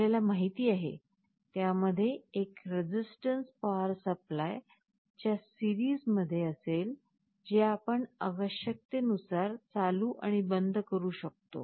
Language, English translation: Marathi, As you know, it will consist of a resistance in series with a power supply and this you can switch on and off as required